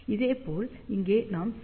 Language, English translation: Tamil, So, C will be equal to 0